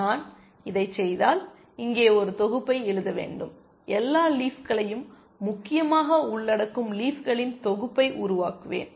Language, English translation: Tamil, If I do this, so, I should write here set of, I will construct a set of leaves which will cover all strategies essentially